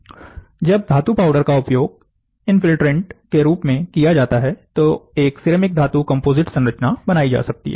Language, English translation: Hindi, When metal powders are used as the infiltrant, then a ceramic metal composite structure can be formed